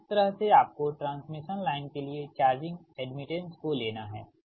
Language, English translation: Hindi, so this way you have to consider the charging admittance for the transmission line